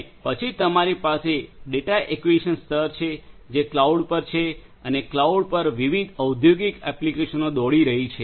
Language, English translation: Gujarati, And then you have the data acquisition layer which is at the cloud and different and industrial applications are running on the cloud right